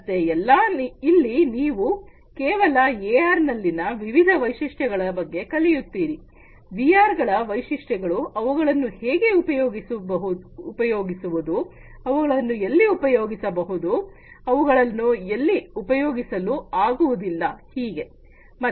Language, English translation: Kannada, So, here you are just going to learn about the different features of AR, different features of VR, how they can be used, where they can be used, where they cannot be used